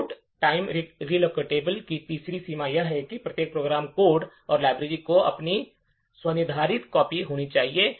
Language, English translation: Hindi, Third limitation of the load time relocatable code is that each program code, should have its own customized copy of the library